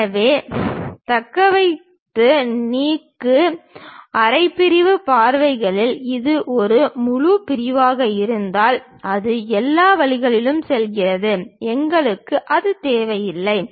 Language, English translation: Tamil, So retain, remove; in half sectional views by if it is a full section it goes all the way there, we do not require that